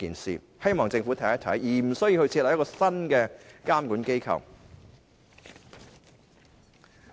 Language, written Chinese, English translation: Cantonese, 我希望政府探討一下，而無須設立一個新的監管機構。, I hope the Government can explore my suggestion rather than setting up a new regulatory body